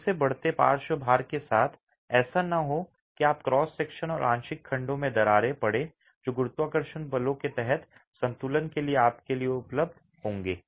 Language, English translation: Hindi, This again need not be the case with increasing lateral loads you would have cracking in the cross section and partial sections which will be available to you for equilibrium under gravity forces